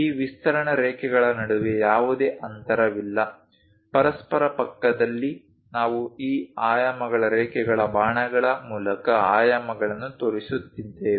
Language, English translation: Kannada, There is no gap between these extension lines, next to each other we are showing dimensions, through these dimension lines arrows